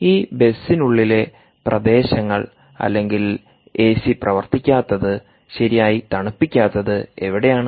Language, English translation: Malayalam, which are the regions inside the bus or an automobile where a c not working well, whereas it that its not cooling properly